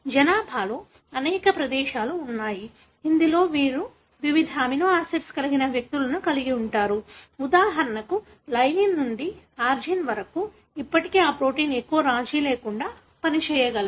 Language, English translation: Telugu, There are many places in the population, wherein you have individuals having different amino acid in the position; like for example lysine to arginine, still that protein is able to function without much of a compromise